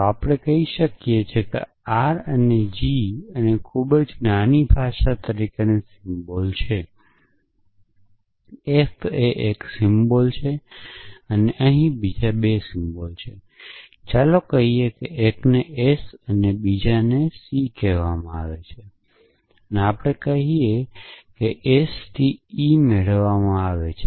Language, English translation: Gujarati, So, let us say that r is a symbol called g and very small language, F is a symbol a 2 symbols, let us say one is called s and one is called c and c contains of one symbol, let us s say is called e